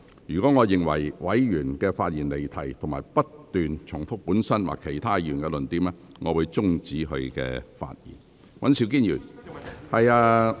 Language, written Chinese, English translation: Cantonese, 若我認為委員發言離題或不斷重複本身或其他委員的論點，我會終止該委員發言。, If I consider that a Member has digressed or persisted in repetition of his own or other Members arguments I will ask him to stop speaking